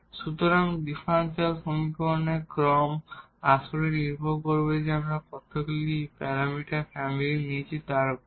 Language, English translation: Bengali, So, the order of the differential equation will be dependent actually how many parameter family we have taken